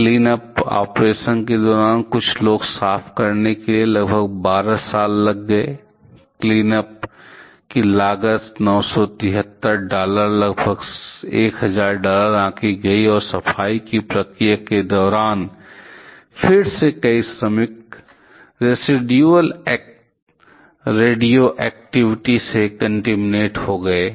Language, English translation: Hindi, During the cleanup operation it took nearly 12 years to clean everything, the cost of cleanup was estimated to be 973 dollars about 1000 dollars to get the cleanup and during a cleanup process again several workers were contaminated with the residual radioactivity